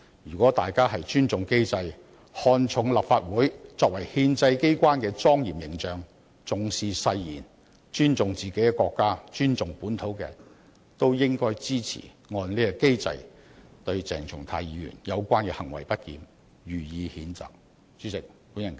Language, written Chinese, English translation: Cantonese, 如果大家尊重機制，看重立法會作為憲制機關的莊嚴形象，重視誓言，尊重自己的國家和本土，均應支持按此機制對鄭松泰議員的相關行為不檢予以譴責。, If we respect the mechanism take the solemn image of the Legislative Council as the constitutional authority seriously attach importance to the oath respect our own country and region we should support censuring the misbehaviour of Dr CHENG Chung - tai in accordance with this mechanism